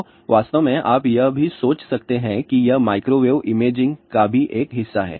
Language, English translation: Hindi, So, in fact, this you can even thing about it is a part of microwave imaging also